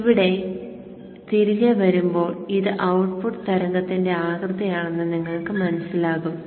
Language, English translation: Malayalam, So coming back here you will see that this is the output wave shape